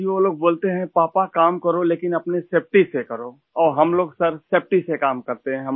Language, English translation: Urdu, Sir, they say, "Papa, work…but do it with along with your own safety